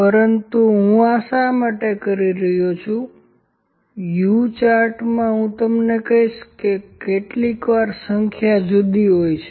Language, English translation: Gujarati, But why I am doing it because in the U chart I will tell you that sometimes the number is different